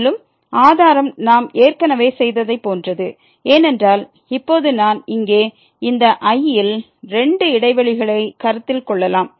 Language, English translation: Tamil, And, the proof is similar to what we have already done before because, now we can consider two intervals here in this